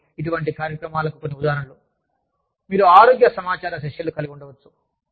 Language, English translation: Telugu, So, some examples of such programs are, you could have health information sessions